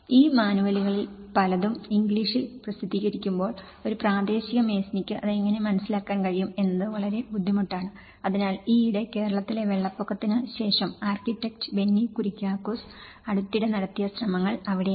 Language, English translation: Malayalam, And many of these manuals, when they are published in English, it becomes very hard how a local mason can understand it, so that is where a recent efforts have been done by architect Benny Kuriakose after the recent Kerala floods